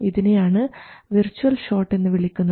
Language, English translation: Malayalam, So that is the virtual short